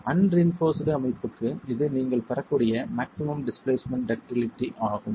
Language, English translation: Tamil, For an unreinfor system, this is the maximum displacement ductility that you might get